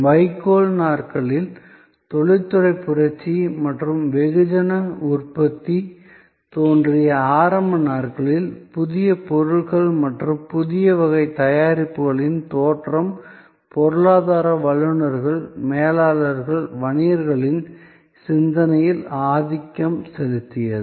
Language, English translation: Tamil, In the hay days, in the early days of industrial revolution and emergence of mass manufacturing, goods newer and newer types of products dominated the thinking of economists, managers, business people